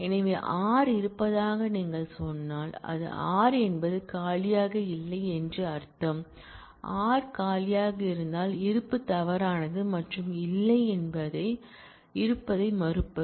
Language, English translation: Tamil, So, if you say exists r, then that is a predicate which mean that r is not empty; if r is empty then exist is false and not exist is the negation of exist